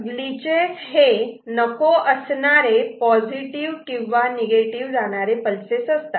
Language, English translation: Marathi, Glitches are undesired positive or negative going pulses